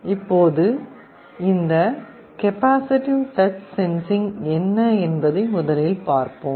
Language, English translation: Tamil, Now, first let us see what this capacitive sensing is all about